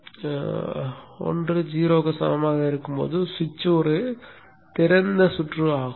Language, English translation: Tamil, When i is equal to zero, the switch is an open circuit